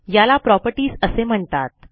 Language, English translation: Marathi, These are also called properties